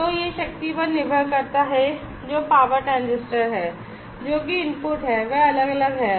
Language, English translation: Hindi, So, depending on that the power that is the power transistor, which is there the input to that is varying